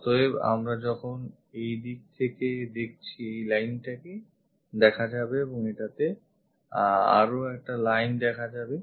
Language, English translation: Bengali, So, when we are looking from this view this line will be visible and this one there is one more line visible